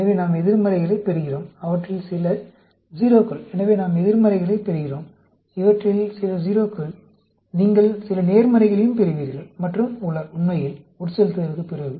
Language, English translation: Tamil, So, we get negatives, some of them are 0s; so, we get negatives; some of them are 0s; you get some positives as well, and so on, actually, after infusion